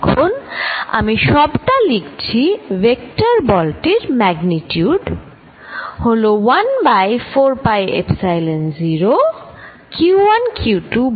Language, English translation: Bengali, Now, I am write the whole thing, force of vector with the magnitude 1 over 4 pi Epsilon 0, q 1 q 2 over r 1 2 square